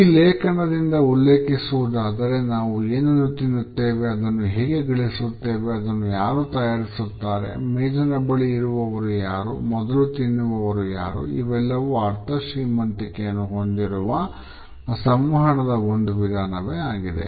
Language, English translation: Kannada, I would quote from this article “what we consume, how we acquire it, who prepares it, who is at the table, who eats first is a form of communication that is rich in meaning